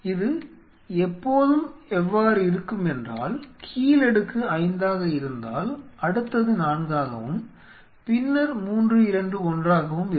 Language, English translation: Tamil, It is always like if the lowermost layer is 5 next is 4 then 3 2 1